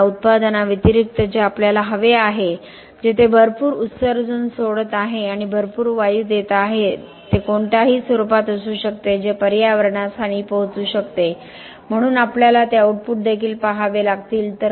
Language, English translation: Marathi, Other than this product that we want where also giving off a lot of emission we are giving a lot of gasses it could be in any form which could harm the environment so we have to look at those outputs also ok